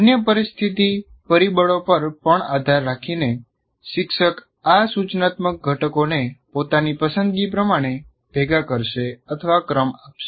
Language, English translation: Gujarati, So depending on the other situational factors as well, the teacher will combine or sequence these instructional components in the way he prefers